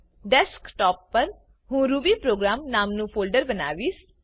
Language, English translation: Gujarati, On Desktop, I will create a folder named rubyprogram